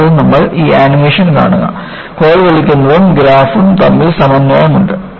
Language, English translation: Malayalam, And, you just watch this animation; there is synchronization between the rod being pulled and the graph here